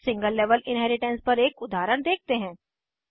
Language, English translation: Hindi, Now let us see an example on single level inheritance